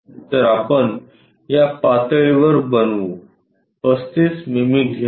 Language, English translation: Marathi, So, let us construct at this level pick 35 mm